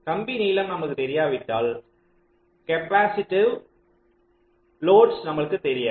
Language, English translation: Tamil, so unless we know the wire lengths, we do not know the capacitive loads